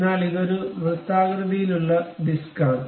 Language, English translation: Malayalam, But it is a circular disc